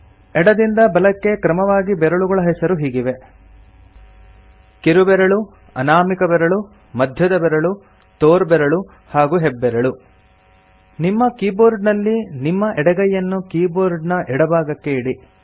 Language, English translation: Kannada, Fingers, from left to right, are named: Little finger, Ring finger, Middle finger, Index finger and Thumb On your keyboard, place your left hand, on the left side of the keyboard